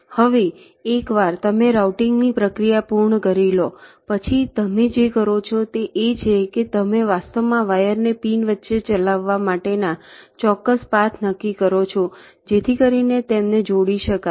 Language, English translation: Gujarati, now, once you complete the process of routing, what you do is that you actually determine the precise paths for the wires to run between the pins so as to connect them